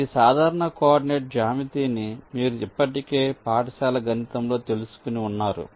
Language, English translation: Telugu, well, you can you simple coordinate geometry, for that you already know this is means school math staff